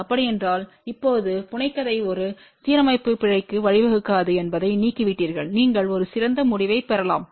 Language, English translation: Tamil, So, if you just remove that now the fabrication will not lead to much of a alignment error at all and you can get a much better result